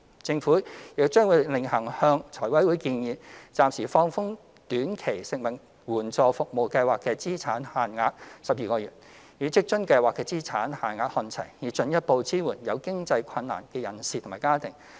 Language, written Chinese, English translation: Cantonese, 政府亦將會另行向財委會建議，暫時放寬短期食物援助服務計劃的資產限額12個月，與職津計劃的資產限額看齊，以進一步支援有經濟困難的人士及家庭。, The Government will also propose to FC to temporarily relax the asset limits of the Short - term Food Assistance Service Projects on a 12 - month basis by pitching the asset limits to those of the WFA Scheme in order to further support people and families in financial difficulties